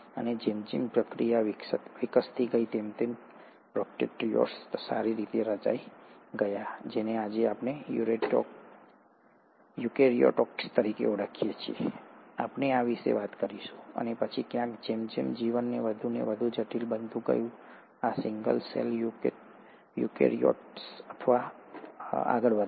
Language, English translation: Gujarati, And as a process evolved, the prokaryotes ended up becoming well formed, which is what we call today as eukaryotes, we’ll talk about this, and then somewhere, as it's life became more and more complex, these single cell eukaryotes went on to become multi cellular eukaryotes, plants, animals, and then finally, the humans